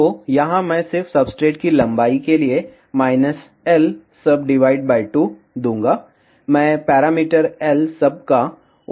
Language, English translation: Hindi, So, here I will just give minus l sub by 2 for substrate length, I am using the parameter l sub